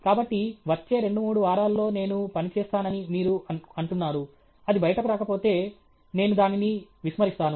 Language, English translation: Telugu, So, you say the next two three weeks I will work, if it is not coming out, I will discard